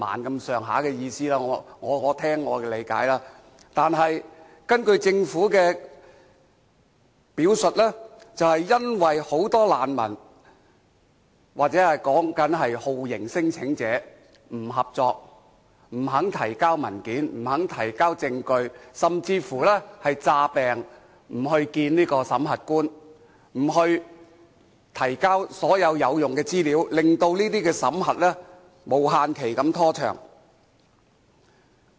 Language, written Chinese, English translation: Cantonese, 但是，根據政府的表述，這卻是由於很多難民或酷刑聲請者不合作，不肯提交文件，不肯提交證據，甚至乎裝病不去見審核官，不提交所有有用資料，令審核程序無限期拖長。, However according to the Government this is because many refugees or torture claimants were uncooperative unwilling to submit documents and evidence and they even feigned illness to avoid seeing screening officers . They did not submit all the useful information thus indefinitely prolonging the screening procedures